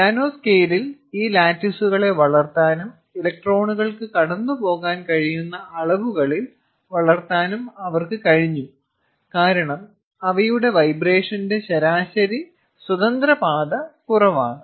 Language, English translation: Malayalam, they were able to grow these lattices in the nanoscale and grow it in dimensions such that the electrons could pass through, because their mean free path of vibration is lower